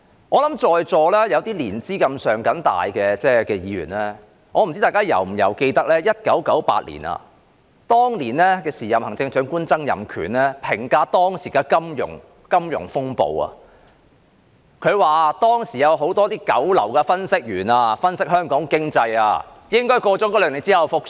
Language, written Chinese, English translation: Cantonese, 我不知道在座年資較深的議員是否記得 ，1998 年時任財政司司長曾蔭權評價當時的金融風暴時，曾指斥當時有很多九流分析員，而他的分析是香港經濟兩年後便會復蘇。, I wonder if those more seasoned Members present recall that when the then FS Donald TSANG commented on the prevailing financial turmoil in 1998 he criticized that there were many bottom - class economic analysts back then